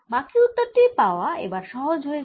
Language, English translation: Bengali, rest of the answer is then easy to get in